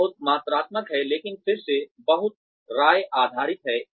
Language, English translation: Hindi, It is very quantitative, but again, very opinion based